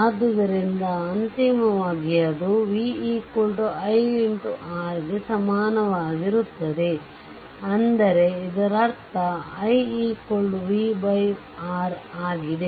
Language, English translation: Kannada, So, ultimately it will become v is equal to your R into i right that means this i this i is equal to actually v upon R right